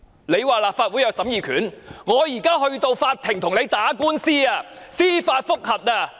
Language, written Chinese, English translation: Cantonese, 你們說立法會有審議權，我們現在便要到法庭跟你打官司，進行司法覆核。, According to the Government the Legislative Council does have the power to scrutinize the Regulation but we are now going to bring this matter to court to seek judicial review